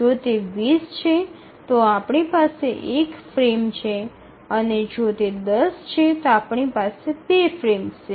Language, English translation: Gujarati, So if it is 20 we have just one frame and if it is 10 we have just 2 frames